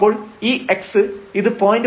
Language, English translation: Malayalam, So, this x so, this is 0